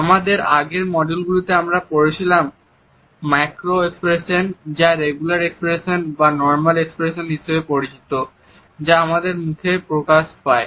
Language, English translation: Bengali, Macro expressions as we have a studied in our previous module or what is known as the regular expressions or the normal expressions which come on our face